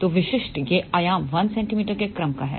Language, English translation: Hindi, So, typical is this dimension is of the order of 1 centimeter